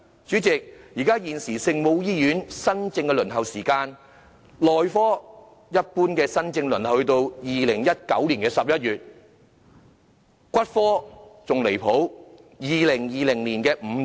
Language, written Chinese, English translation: Cantonese, 主席，現時聖母醫院的專科門診新症輪候時間，內科一般要到2019年11月；骨科更離譜，到2020年5月。, President as regards the waiting time for new case booking for specialist outpatient services of the Our Lady of Maryknoll Hospital that for surgery generally will be until November 2019 while that for orthopaedics and traumatology is more ridiculous until May 2020